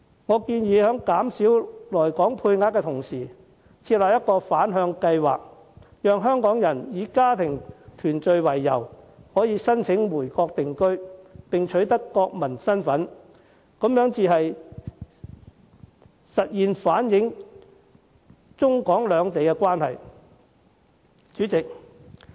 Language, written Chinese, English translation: Cantonese, 我建議減少來港配額，並同時設立一個反向計劃，讓香港人以家庭團聚為由申請回國定居，並取得國民身份，這才能現實地反映中港兩地關係。, I propose to reduce the quota of arrivals in Hong Kong and at the same time there should be a reverse scheme so that Hong Kong people can apply to go back and settle in the Mainland for family reunion and acquire national identity . Only by doing so can the relationship between the Mainland and Hong Kong be realistically reflected